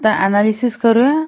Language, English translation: Marathi, Now let's analyze